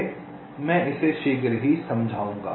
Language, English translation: Hindi, this i shall be illustrating very shortly